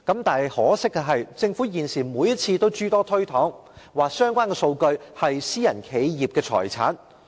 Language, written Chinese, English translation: Cantonese, 但可惜的是，政府現時每次也諸多推搪，表示相關數據是私人企業的財產。, Yet regrettably now the Government would always excuse itself claiming that the relevant data is the asset of private enterprises